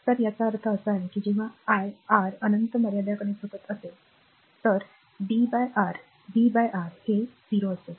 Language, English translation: Marathi, So, that means, when I R tends to infinity limit b by R will be 0, right